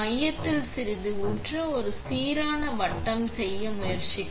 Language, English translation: Tamil, Pour on a little bit in the center, try to make a uniform circle